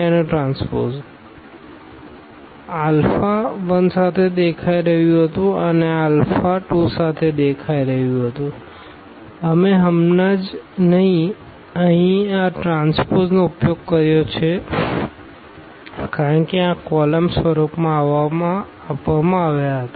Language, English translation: Gujarati, This was appearing with alpha 1 and this was appearing with alpha 2 we have just used here this transpose because they were given in this column form